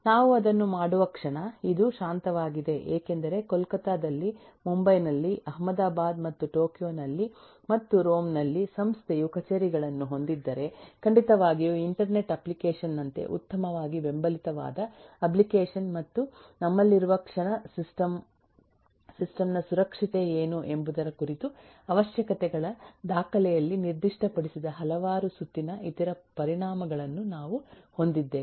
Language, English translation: Kannada, the moment we do that this is a quiet because if the organisation has offices in kolkata, in mumbai, in ahmedabad and tokyo and in rome, then certainly the application that will be the best supported as an internet application and the moment we have that, we will have a several rounds of other consequences coming in which were not specified in the requirements document in terms of what is the security of the system, what if this will be broken through